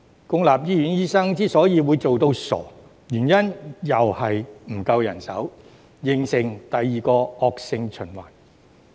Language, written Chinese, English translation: Cantonese, 公立醫院醫生會"做到傻"的原因仍然是沒有足夠人手，形成第二個惡性循環。, Doctors in public hospitals may be overworked for the same reason ie . insufficient manpower thus forming a second vicious cycle